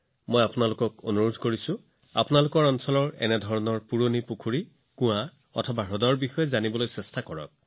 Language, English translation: Assamese, I urge all of you to know about such old ponds, wells and lakes in your area